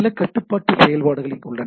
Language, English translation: Tamil, There are several control function